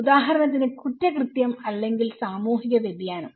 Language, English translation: Malayalam, For example; crime or social deviance